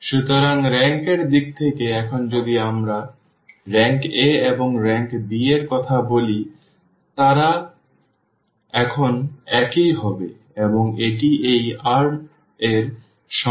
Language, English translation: Bengali, So, in terms of the rank now if we talk about the rank of the A and rank of the A b, so, they will be the same now and that is equal to this r or equal to this n